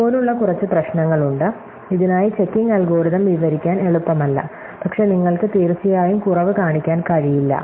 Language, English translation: Malayalam, So, there are few problems like this for which checking algorithm is not easy to describe, but you cannot certainly show reduction